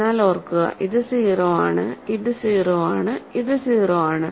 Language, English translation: Malayalam, But remember, this is 0, this is 0, this is 0